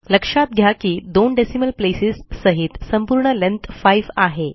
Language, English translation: Marathi, Notice that the total length is five, inclusive of the two decimal places